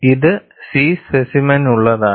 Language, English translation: Malayalam, This is for the C specimen